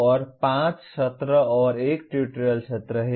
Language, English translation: Hindi, And there are 5 sessions and 1 tutorial session